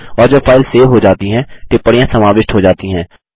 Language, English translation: Hindi, And when the file is saved, the comments are incorporated